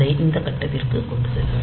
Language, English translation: Tamil, So, it will take it to this point